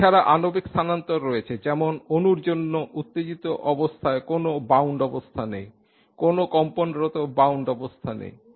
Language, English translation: Bengali, There are also molecular transitions such that the excited states do not have any bound state for the molecule, no vibrationally bound states